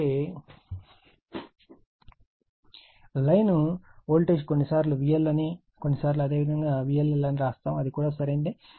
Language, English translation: Telugu, So, line voltages sometimes V L sometimes you call sometimes you write V L line to line voltage some volt they may write V LL line to line voltage it is correct right